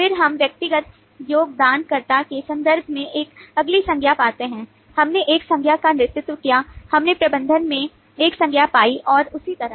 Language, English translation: Hindi, then we find a next noun: in terms of individual contributor, we found a noun in lead, we found a noun in manager and so on